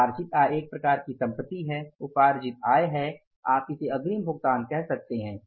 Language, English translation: Hindi, It means accrued incomes are which incomes or you can call it as accrued incomes or advance payments